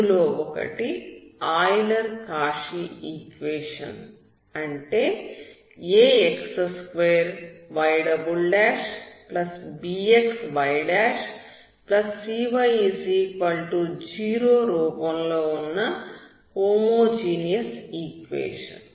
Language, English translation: Telugu, One is Euler Cauchy equation, that is homogeneous equation that will have a x2y' '+bx y'+cy=0